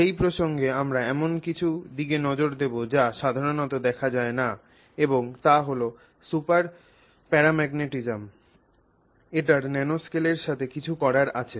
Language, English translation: Bengali, And in that context we look at something which is not so commonly encountered and that is super paramagnetism